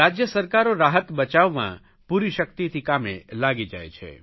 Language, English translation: Gujarati, The state governments have braced themselves up for rescue and relief work